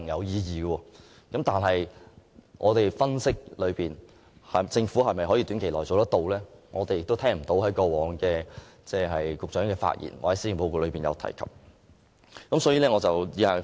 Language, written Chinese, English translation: Cantonese, 然而，根據我們分析，政府未必能在短期內做到這一點，而局長過往的發言或施政報告中亦未曾提及。, However based on our analysis the Government may not be able to come up with better measures in the short term given that no mention has been made of such measures in the previous speeches of the Secretary or in the policy addresses